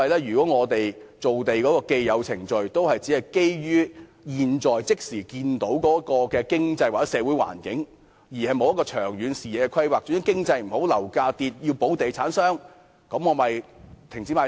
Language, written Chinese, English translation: Cantonese, 如果我們造地的既有程序也只是基於現時的經濟或社會環境，欠缺長遠視野及規劃，遇上經濟不景時，樓價下跌，政府要保護地產商，便停止賣地。, If the established procedure of land formation is based only on the current economic or social environment without long - term vision and planning during an economic downturn when property prices drop the Government will stop land sale to protect real estate developers